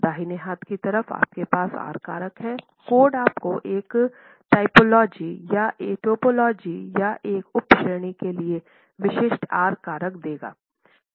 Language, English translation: Hindi, The code would give you specific R factors for a typology or a subcategory